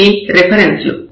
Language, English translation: Telugu, So, these are the references